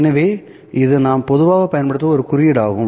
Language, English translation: Tamil, So, this is a notation that we normally use